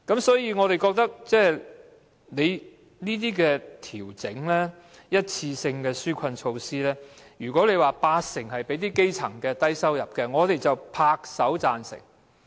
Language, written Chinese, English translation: Cantonese, 所以，對於這些一次性紓困措施，如果八成是向基層及低收入人士提供的，我們便拍手贊成。, As such with regard to these one - off relief measures if 80 % of them are provided for the grassroots and low - income earners we would welcome them and applaud them in agreement